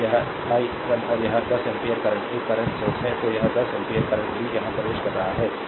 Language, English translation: Hindi, This i 1 and this 10 ampere current is a current source; so, this 10 ampere current also entering here